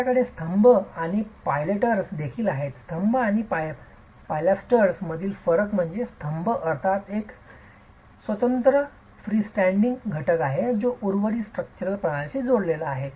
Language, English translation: Marathi, The difference between columns and pilasters is a column is a single freestanding element of course connected to the rest of the structural system